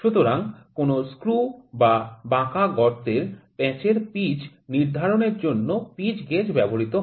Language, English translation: Bengali, So, it is used to measure the pitch or lead of any screw thread